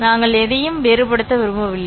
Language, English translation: Tamil, We don't want to distinguish anything